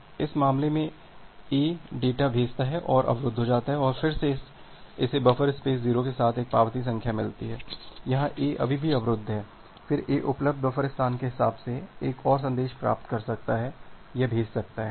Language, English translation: Hindi, So, here in this case, A A sends the data and gets blocked and then it gets an acknowledgement number with buffer space 0, here A is still blocked, then A A can send get get another message with the available buffer space